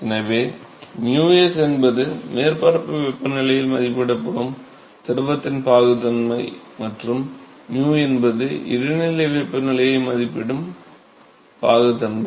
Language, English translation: Tamil, So, mu s is the viscosity of the fluid evaluated at the surface temperature and mu is the viscosity evaluated at intermediate temperature right